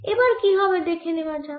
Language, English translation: Bengali, let's see what happens now